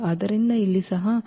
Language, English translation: Kannada, So, here also 12 minus 12, 0